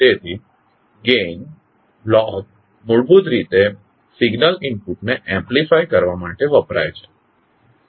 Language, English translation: Gujarati, So Gain Block is basically used to amplify the signal input